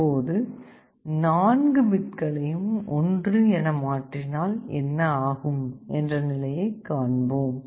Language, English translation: Tamil, Now, the question is when all the 4 bits are applied together, what will happen